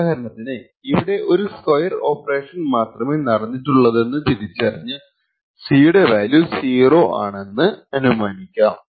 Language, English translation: Malayalam, So, for example over here he identifies that there is only a square operation that is performed and therefore the value of C should be 0